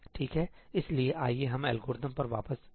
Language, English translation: Hindi, Alright, so, let us come back to the algorithm